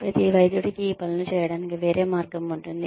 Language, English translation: Telugu, Every doctor has a different way of doing these things